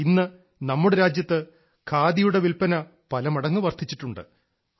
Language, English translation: Malayalam, It is only on account of your efforts that today, the sale of Khadi has risen manifold